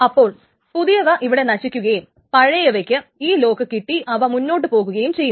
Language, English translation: Malayalam, So the young one dies and the old one essentially now gets the lock and continues with this